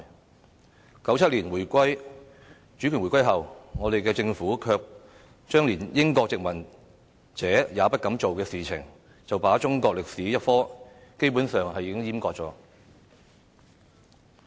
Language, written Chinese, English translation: Cantonese, 但是 ，1997 年主權回歸後，我們的政府卻做出連英國殖民者也不敢做的事情，便是把中史科基本上"閹割"了。, However following the reunification in 1997 our Government had done something that even the British colonists dared not do that is to castrate the subject of Chinese History